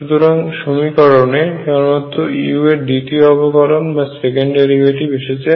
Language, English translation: Bengali, So, that only the second derivative of u appears in the equation